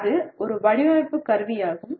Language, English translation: Tamil, That is a design instrumentality